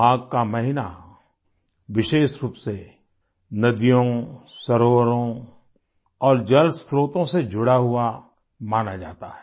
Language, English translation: Hindi, The month of Magh is regarded related especially to rivers, lakes and water sources